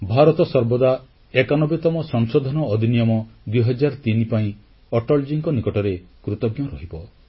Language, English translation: Odia, India will remain ever grateful to Atalji for bringing the 91st Amendment Act, 2003